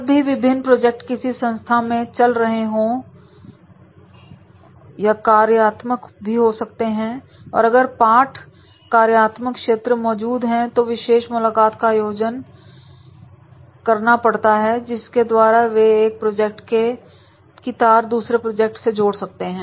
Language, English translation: Hindi, Whenever there are the multiple projects are going on and there can be the cross functional also, if the cross functional areas are there, the special meetings are to be organized and therefore they can relate the one project's interest with the another project's interest is there